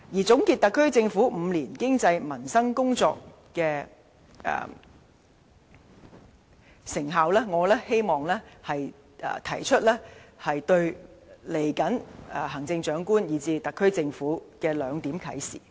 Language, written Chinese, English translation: Cantonese, 總結特區政府過去5年在經濟、民生等工作的成效，我希望提出對未來行政長官，以至特區政府的兩點啟示。, In summarizing the effectiveness of the SAR Governments work relating to the economy and the peoples livelihood over the past five years I wish to give two pieces of advice to the next Chief Executive and even the coming Government